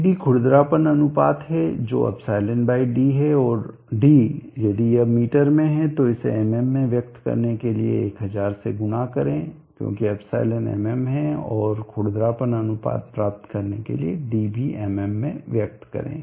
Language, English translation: Hindi, You can now apply the hydraulic equations Ed e is the roughness ratio = e/ d and d if it is in meters multiply it with 1000 to express it in mm because e is a mm and express d also in mm to get the roughness ratio